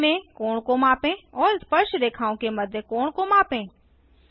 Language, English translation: Hindi, Measure angle at the centre, Measure angle between the tangents